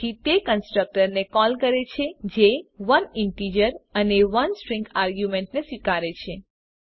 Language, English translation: Gujarati, Hence it calls the constructor that accepts 1 integer and 1 String argument